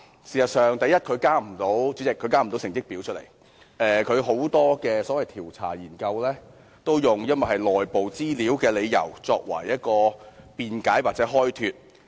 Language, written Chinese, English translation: Cantonese, 主席，第一，它事實上交不出成績，很多調查研究都以屬內部資料為由來辯解或開脫。, Chairman firstly its inability to deliver any results is a fact . In many cases internal use is quoted as an excuse or justification for not disclosing the information of researches and studies